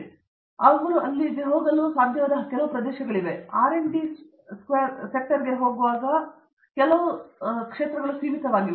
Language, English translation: Kannada, So, there are some areas like this where they are able to go, but it is really again a confine to the R&D sector